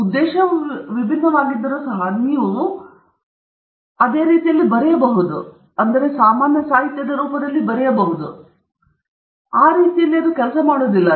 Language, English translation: Kannada, You may think that may be even though the purpose is different, you can still write the same way; it doesn’t work that way